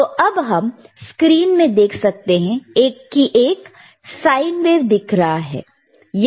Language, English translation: Hindi, Right now, we can see on the screen there is a sine wave